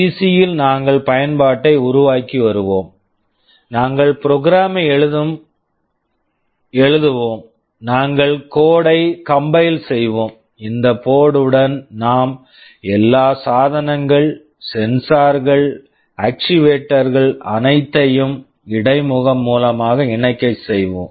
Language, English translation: Tamil, In the PC, we shall be developing the application, we shall be writing the program, we shall be compiling the code, and with this board we shall be interfacing with all the devices, sensors, actuators everything